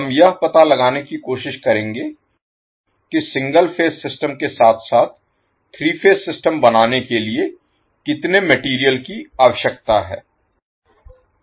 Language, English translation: Hindi, We will try to find out how much material is required to create the single phase system as well as three phase system